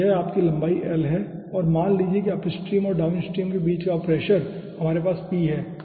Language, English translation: Hindi, so this is your length, l, and let say the pressure between the up stream and down stream